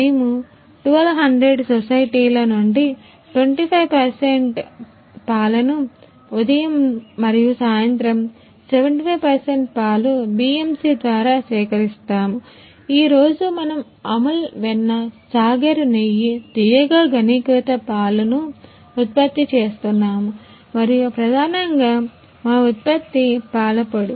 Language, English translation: Telugu, We will we will collect milk from 1200 societies 25 percent milk in can morning and evening, 75 percent milk collect through BMC, today we will product Amul butte,r Sagar ghee, sweetened condensed milk and mainly our product with powder